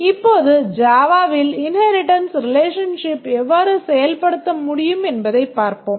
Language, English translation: Tamil, Now let's see how inheritance relations can be implemented in Java